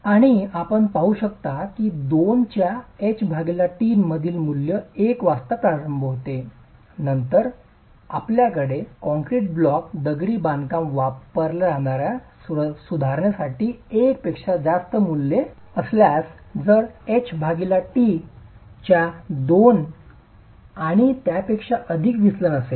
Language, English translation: Marathi, And you can see that the value at H by T of 2 commences at 1 and then you have values that are greater than 1 for the correction factor used for concrete block masonry if there is a deviation from H